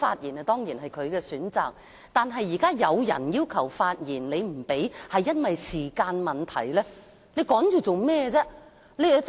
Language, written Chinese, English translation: Cantonese, 議員當然可以選擇不發言，但現在有議員要求發言，你卻因為時間所限不讓他們發言。, Members may certainly choose not to speak but now Members have requested permission to speak yet you do not permit them to do so given the time constraint